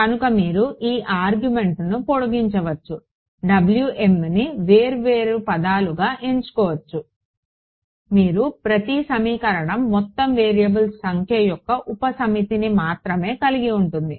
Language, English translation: Telugu, So, we can you can sort of extend this argument choose W m to be different different terms, you will get each equation will have only a subset of the total number of variables